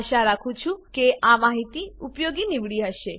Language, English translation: Gujarati, Hope this information was helpful